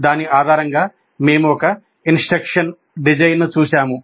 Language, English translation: Telugu, Based on that, we looked at one instruction design